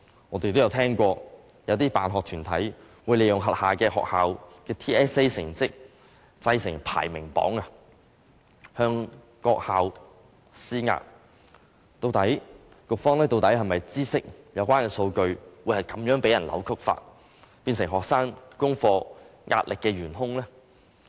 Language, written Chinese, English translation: Cantonese, 我們曾經聽聞，有些辦學團體會利用轄下學校的 TSA 成績製成排名榜，向各校施壓，局方究竟是否知悉有關數據會被人如此扭曲，變成學生功課壓力的元兇呢？, We have heard that some school sponsoring bodies have used TSA performance of their schools to compile ranking lists to exert pressure on them . Does the Education Bureau know that the data has been distorted in such a way that it has become the main culprit for putting pressure on students?